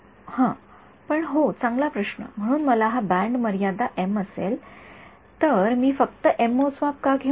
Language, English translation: Marathi, Yeah, but yeah good question; so, if I know the band limit to be m why should I not take m measurements only